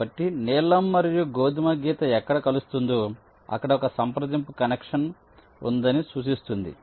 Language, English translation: Telugu, so wherever the blue and a brown line will meet, it implies that there is a via connection there